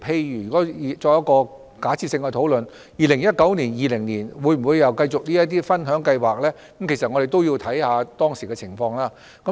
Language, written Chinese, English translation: Cantonese, 如果我們作假設性的討論 ，2019-2020 年度再次推出這類分享計劃與否，將須視乎當時的情況而定。, If we make a hypothetical discussion I would say whether a similar sharing scheme will be introduced in 2019 - 2020 again will be determined by the prevailing circumstances